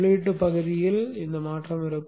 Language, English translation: Tamil, There will be changed in the input portions